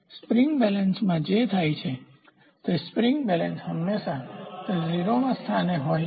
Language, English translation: Gujarati, So, what happens in a spring balance is the spring balance always it is in 0th position